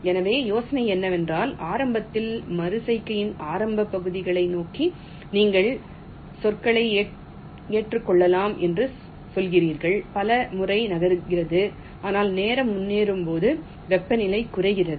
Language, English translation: Tamil, so the idea is that there is initially, towards the initial parts of the iteration you are saying that you may accept words moves many a time, but as time progresses the temperature drops